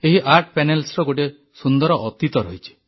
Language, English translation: Odia, These Art Panels have a beautiful past